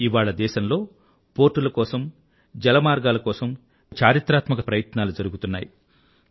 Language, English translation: Telugu, Today there are landmark efforts, being embarked upon for waterways and ports in our country